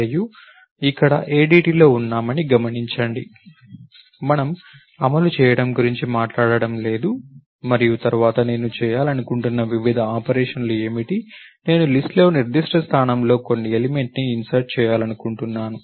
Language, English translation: Telugu, Notice that we are in the ADT here, we are not talked about what the implementation is and then, what are the various operations that I want to perform, I want to insert an element into the list at some particular point